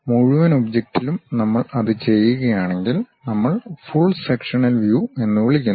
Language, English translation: Malayalam, If we do that with the entire object, then we call full sectional view